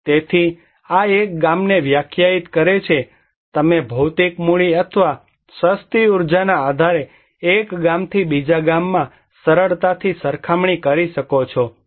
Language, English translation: Gujarati, So, this defines one village, you can compare easily from one village to another village based on physical capital or affordable energy